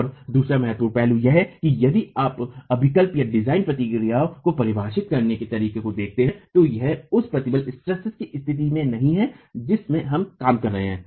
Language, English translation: Hindi, The other important aspect is if you look at the way codes define design procedures, it is not at the state of stresses that we work